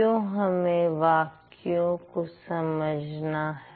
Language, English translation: Hindi, Why do you think we need to understand sentences